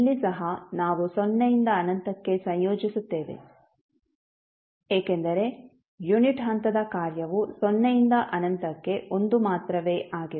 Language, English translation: Kannada, Here also we will integrate between 0 to infinity because the unit step function is 1 only from 0 to infinity